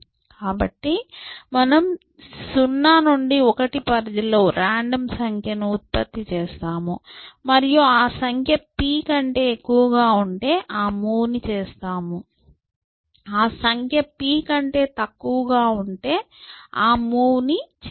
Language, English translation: Telugu, So, you generate a random number in the range 0 to 1 and if that number happens to be greater than p, you make the move, if the number happens to be less than p, you will do not make the move